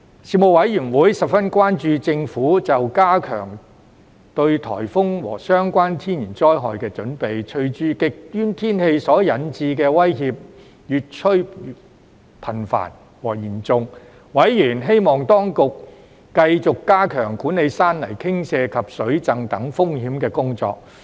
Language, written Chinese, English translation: Cantonese, 事務委員會十分關注政府就加強應對颱風和相關天然災害的準備，隨着極端天氣所引致的威脅越趨頻繁和嚴重，委員希望當局繼續加強管理山泥傾瀉及水浸等風險的工作。, The Panel expressed grave concerns over the Governments initiatives to enhance the preparedness and resilience against typhoons and related natural disasters . As climate change went drastic threats induced by extreme weather were expected to be more frequent and severe . Members anticipated the Government to enhance its efforts in the management of such risks as landslide and flood